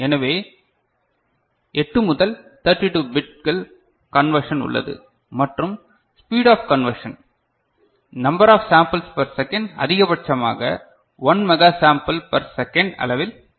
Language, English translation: Tamil, So, 8 to 32 bits conversion is there and the speed of conversion the number of sample per second is in the order of maximum is 1 mega sample per second